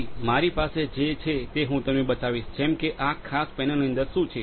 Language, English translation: Gujarati, So, what we have I will just show you what is inside this particular panel